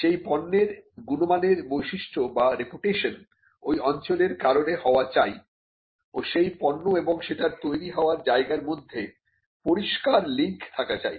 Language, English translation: Bengali, The qualities characteristics or reputation of that product should be essentially due to the place of origin and there has to be a clear link between the product and it is original place of production